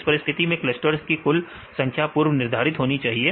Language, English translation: Hindi, So, for in this case the number of clusters should be predetermined